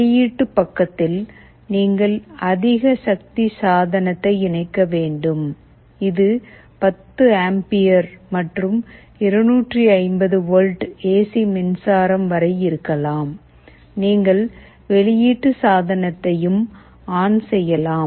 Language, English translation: Tamil, And on the output side, you are supposed to connect a higher power device, this can be 10 ampere and up to 250 volt AC power supply, you can switch ON the output side